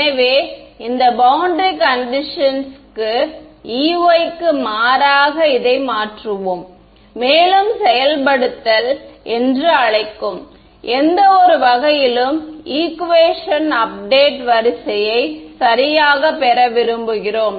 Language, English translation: Tamil, So, this is what we will substitute for E y into this boundary condition and in any sort of what you call implementation we want to get an update equation order right